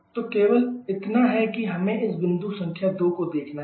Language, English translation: Hindi, So, only that we have to see this point number 2